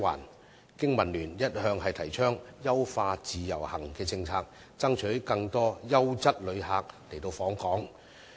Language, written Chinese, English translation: Cantonese, 香港經濟民生聯盟一向提倡優化自由行政策，爭取更多優質旅客訪港。, The Business and Professionals Alliance for Hong Kong BPA has all along advocated enhancing the IVS policy to attract more quality visitors to Hong Kong